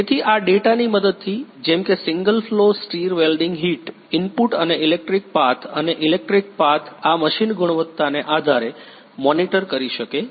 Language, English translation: Gujarati, So, with the help of these data such as the single flow stir welding heat input and electric path and electric path this machine can monitor given a quality